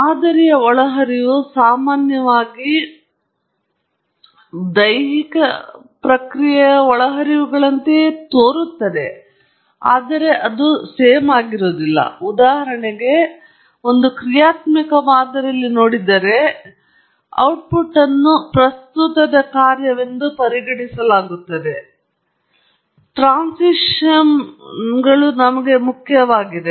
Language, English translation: Kannada, The inputs to the model are generally more or the same as the inputs that are going to the process, but for example, if you looking at a dynamic model, in a dynamic model, the output is modeled as a function of the present and the past, because transients are important to us